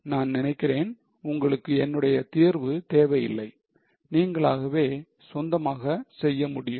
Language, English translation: Tamil, I hope you know't need my solution, you can do it on your own